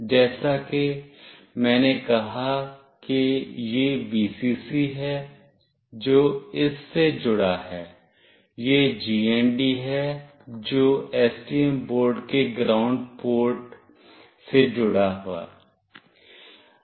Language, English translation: Hindi, As I said this is Vcc, which is connected to this one, this is GND, which is connected to the ground port of the STM board